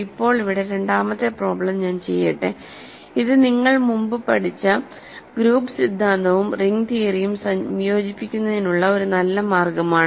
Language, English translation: Malayalam, So now, let me do a second problem here which is actually a good way to combine group theory and ring theory, group theory that you learned in the past